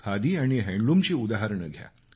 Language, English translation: Marathi, Take the examples of Khadi and handloom